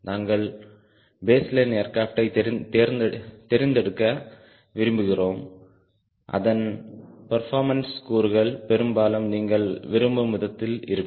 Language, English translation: Tamil, we try to select a baseline aircraft whose performance parameters are almost like whatever you are looking for